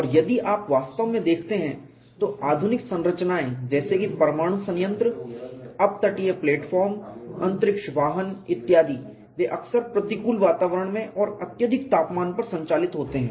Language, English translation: Hindi, And if you really look at the modern structures such as nuclear plants, offshore platforms, space vehicles etcetera they often operate in hostile environments and at extreme temperatures